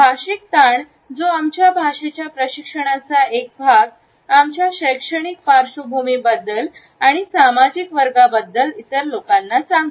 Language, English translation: Marathi, The linguistic stress, which is a part of our language training, tells the other people about our educational background, the social class